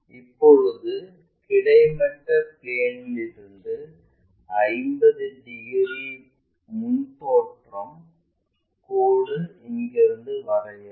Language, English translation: Tamil, Now, draw a 50 degrees front view line from horizontal plane, from here